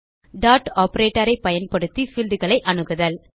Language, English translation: Tamil, Accessing the fields using dot operator